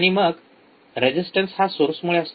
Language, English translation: Marathi, Then the resistance is because of the source